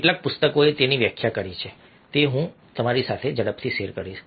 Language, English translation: Gujarati, i will quickly share with you how many books have defined it